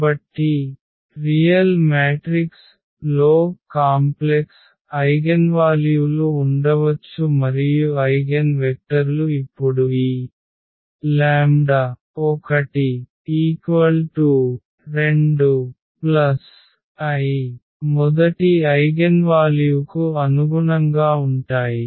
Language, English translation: Telugu, So, a real matrix may have complex eigenvalues that is the remark and then eigenvectors corresponding to now this 2 plus i the first eigenvalue